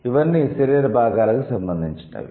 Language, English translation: Telugu, So, all these are related to the body parts